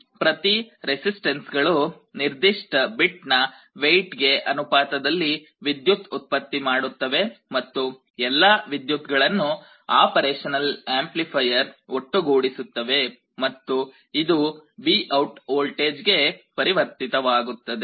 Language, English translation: Kannada, Each of the resistances is generating a current that is proportional to the weight of that particular bit and all the currents are added up by the operation amplifier, and it is converted into a voltage VOUT